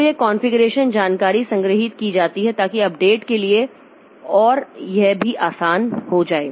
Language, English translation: Hindi, So, this configuration information is stored so that for update and all, so it becomes easy